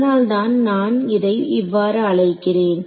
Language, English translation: Tamil, So, that is why I called it a